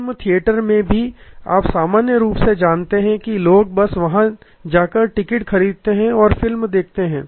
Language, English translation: Hindi, In movie theater also normally you know people just go there buy a ticket and see the movie